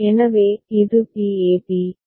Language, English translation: Tamil, So, this is b a b